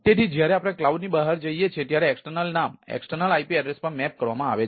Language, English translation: Gujarati, so when we go to the outside the cloud, then the external name is mapped to the external ip address